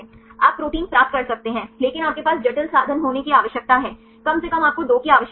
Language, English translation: Hindi, You can get the proteins, but you need to have the complex means, at least you require 2